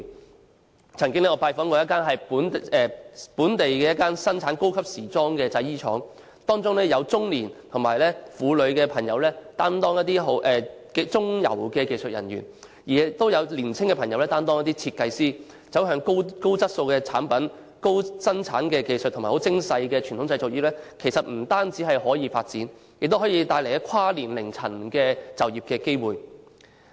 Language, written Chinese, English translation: Cantonese, 我曾經拜訪一間生產本地高級時裝產品的製衣廠，當中有中年和婦女朋友擔當中游的技術人員，亦有年輕朋友擔當設計師，反映走向高質素產品、高生產技術和精工細作的傳統製造業不但可以發展，亦可以帶來跨年齡層的就業機會。, I once visited a garment factory that manufactures local high - end fashion products . The co - existence of middle - aged midstream technical personnel and young designers reflects that the traditional manufacturing industries can develop in the direction of producing high - quality products with high production technology and exquisite workmanship . This can open up employment opportunities for people of different age groups